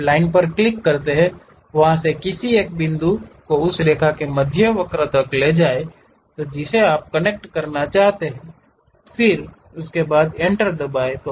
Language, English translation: Hindi, You click the Line, pick one of the point from there to midpoint of that line, you would like to connect; then press Enter